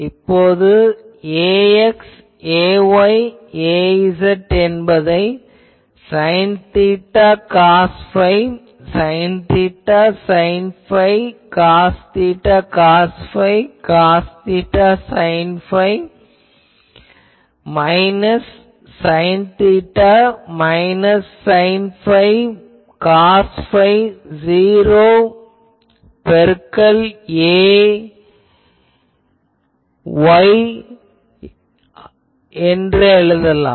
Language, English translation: Tamil, Now, I think all of you know this that ax ay az can be written as sine theta cos phi, sine theta sine phi, cos theta cos theta cos phi, cos theta sine phi, minus sine theta, minus sine phi, plus cos phi, 0 to ar